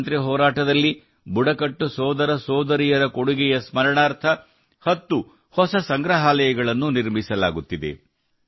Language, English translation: Kannada, Ten new museums dedicated to the contribution of tribal brothers and sisters in the freedom struggle are being set up